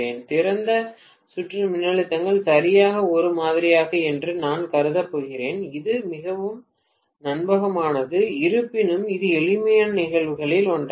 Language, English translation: Tamil, The first case I am going to assume that the open circuit voltages are exactly the same, exactly, which is very unrealistic but nevertheless that is one of the simpler cases